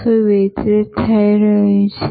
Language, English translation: Gujarati, What is getting delivered